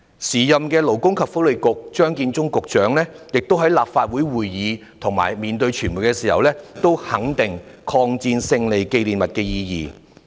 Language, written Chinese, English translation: Cantonese, 時任勞工及福利局局長張建宗在立法會會議及面對傳媒時，亦肯定了抗日戰爭勝利紀念日的意義。, When the then Secretary for Labour and Welfare Matthew CHEUNG spoke at the meeting of the Legislative Council and in front of the media he also confirmed the significance of the Victory Day of the Chinese Peoples War of Resistance against Japanese Aggression